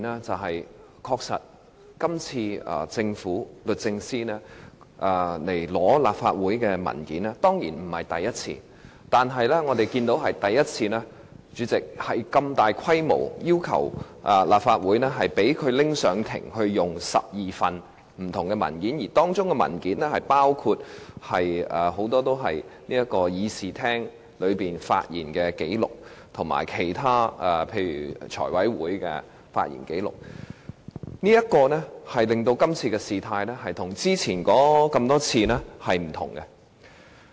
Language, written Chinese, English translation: Cantonese, 的確，律政司向立法會索取文件不是第一次，但是，代理主席，我們是第一次看到律政司如此大規模要求向立法會索取12份不同的文件，而當中包括很多是議員在立法會會議發言的紀錄，以及其他例如財務委員會的發言紀錄，令這次的事態與以往多次不相同。, Indeed it is not the first time for the Department of Justice DoJ to solicit documents from the Legislative Council . However Deputy President as we can see it is the first time for DoJ to solicit as many as 12 different documents from the Legislative Council . Many of them are records of Members speeches in the Legislative Council meetings and some are Members speeches in other meetings like the meeting of the Finance Committee thus making this exercise different from the previous ones